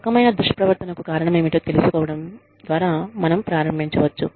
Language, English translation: Telugu, We could start, by finding out, what it is, that has caused, this kind of misconduct